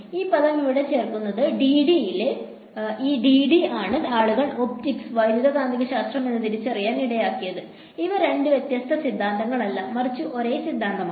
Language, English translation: Malayalam, Adding this term over here, this d D by dt is what led to people realizing that optics and electromagnetics; these are not two different theories, but the same theory